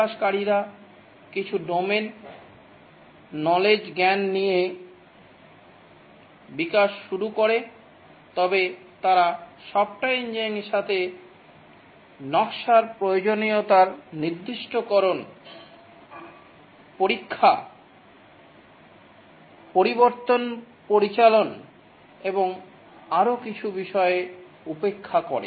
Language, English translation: Bengali, The developers start developing with some domain knowledge but then they ignore the software engineering issues, design, requirement specification, testing, change management and so on